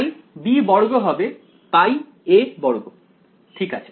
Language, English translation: Bengali, So, b squared should be pi a squared ok